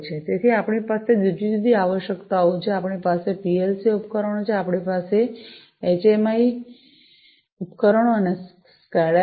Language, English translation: Gujarati, So, we have different requirements, we have the PLC devices, we have HMI, the HMI devices and SCADA